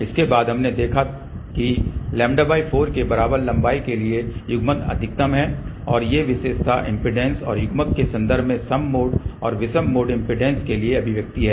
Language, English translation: Hindi, After that we had seen that the coupling is maximum for length equal to lambda by 4 and these are the expressions for even mode and odd mode impedances in terms of characteristic impedance and coupling